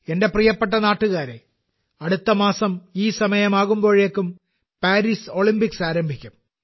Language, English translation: Malayalam, My dear countrymen, by this time next month, the Paris Olympics would have begun